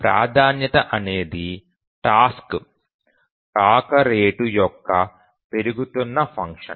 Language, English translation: Telugu, So the priority is a increasing function of the task arrival rate